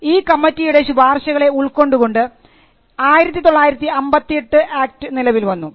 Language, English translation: Malayalam, Pursuant to the recommendations we had the 1958 act